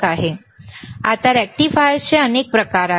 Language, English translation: Marathi, Now, there are several types of rectifiers again